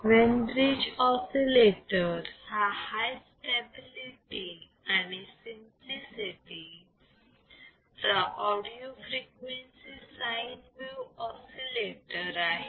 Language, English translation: Marathi, Now Wein bridge oscillator is an audio frequency sine wave oscillator of high stability and simplicity ok